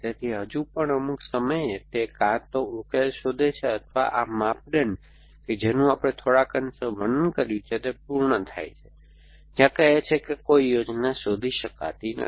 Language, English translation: Gujarati, So, still at some point either it finds a solution or this criteria which we described somewhat briefly is met where it says that no plan can be found essentially